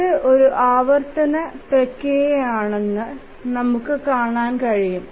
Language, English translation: Malayalam, So, as you can see that this is a iterative process